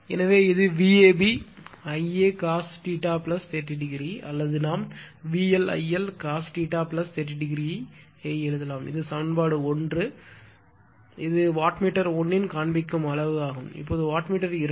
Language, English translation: Tamil, So, it is V a b I a cos theta plus 30 degree or we can write V L I L cos theta plus 30 degree this is equation 1 this is the reading of the your wattmeter 1 right , now wattmeter 2